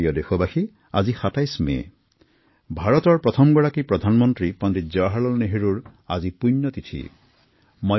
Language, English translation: Assamese, My dear countrymen, today is the 27thof May, the death anniversary of the first Prime Minister of India, Pandit Jawaharlal Nehru ji